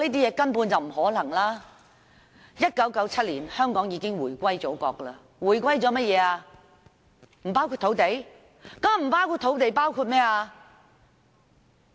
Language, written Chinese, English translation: Cantonese, 香港在1997年已經回歸祖國，假如回歸不包括土地，還包括甚麼？, Hong Kong has already returned to the Motherland in 1997; if the return does not include land what else does it include?